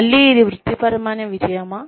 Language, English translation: Telugu, Again, is it occupational success